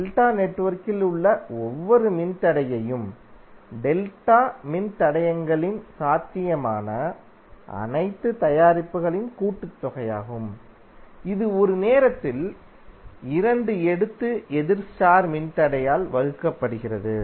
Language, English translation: Tamil, Each resistor in delta network is the sum of all possible products of delta resistors taken 2 at a time and divided by opposite star resistor